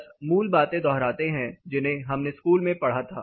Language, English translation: Hindi, Just brushing up the basics what we studied in school